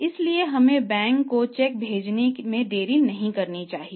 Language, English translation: Hindi, So, sending to the bank should not be delayed